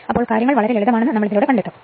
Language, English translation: Malayalam, So, you will find things are simple that